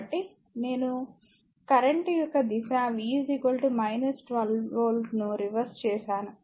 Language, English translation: Telugu, So, I have reverse the direction of the current and V is equal to minus 12 volts